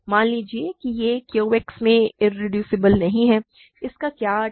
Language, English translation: Hindi, Suppose it is not irreducible in Q X, what does that mean